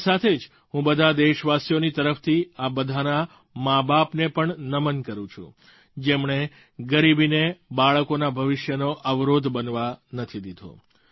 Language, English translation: Gujarati, Along with this, I also, on behalf of all our countrymen, bow in honouring those parents, who did not permit poverty to become a hurdle for the future of their children